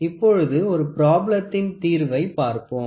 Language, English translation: Tamil, So, let us try to solve a problem